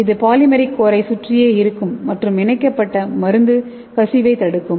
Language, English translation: Tamil, So that is surrounding your polymeric core, and which will prevent your encapsulated drug from leakage okay